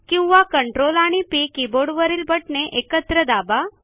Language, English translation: Marathi, Alternately, we can press CTRL and P keys together